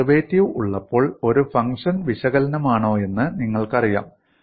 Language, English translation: Malayalam, You know if a function is analytic, when it is having a derivative